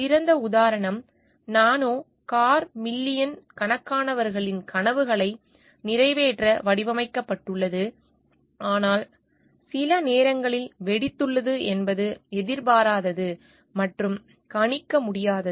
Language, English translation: Tamil, The classic example is of the nano car which is designed to fulfil the dreams of millions, but sometimes what happens for out bursts or unexpected and unpredictable